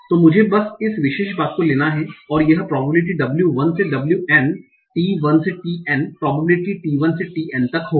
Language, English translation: Hindi, So this will be, so let me just take this particular thing and this will be probability W1 to WN given T1 to TN probability T1 to TN